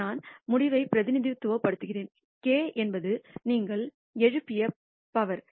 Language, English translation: Tamil, I represents the outcome and k is the power to which you have raised